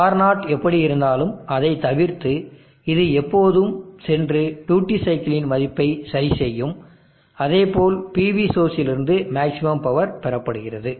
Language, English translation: Tamil, And we except that whatever may be R0, this will always go and adjust the value of the duty cycle in such a way that maximum power is drawn from the PV source